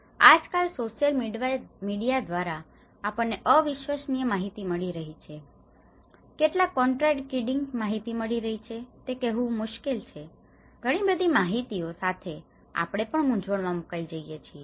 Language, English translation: Gujarati, And nowadays, in the social media we are getting a very unreliable data, is difficult to say there are many much of contradicting data, with lot of information we are also getting into a confused state